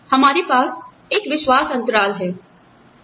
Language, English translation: Hindi, We have a trust gap